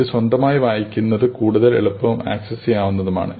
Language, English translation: Malayalam, It is more easy and accessible to read on your own